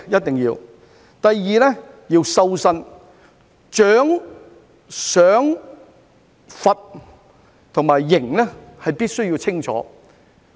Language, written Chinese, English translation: Cantonese, 第二，要"修身"，獎、賞、罰、刑必須清楚。, Secondly in order to cultivate our persons there should be clear criteria for awards rewards punishments and penalties